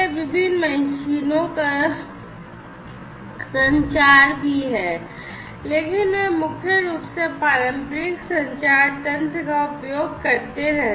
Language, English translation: Hindi, So, communicating different machines have also been there, but those have been primarily, those have been primarily using the conventional communication mechanisms